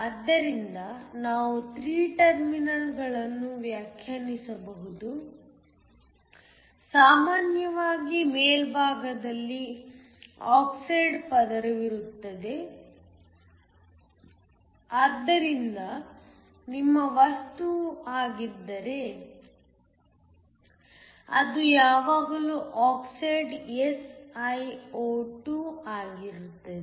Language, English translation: Kannada, So, we can define 3 terminals usually there is an oxide layer on top, So, if your material is silicon which is almost always the case where oxide is SiO2